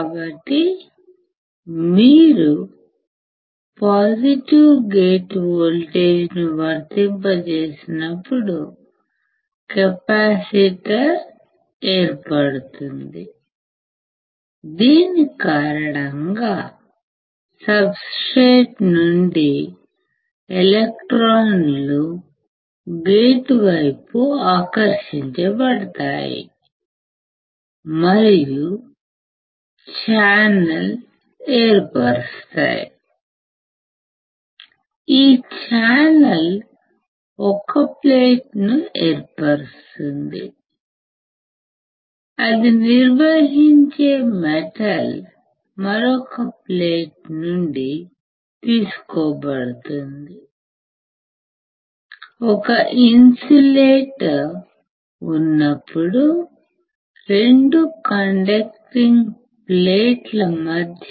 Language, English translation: Telugu, So, here we can see that there is formation of capacitor, when you apply a positive gate voltage, and the due to which the electrons from the substrate gets attracted towards the gate and forms the channel, this channel forms 1 plate, the metal through which the conducts are taken is from another plate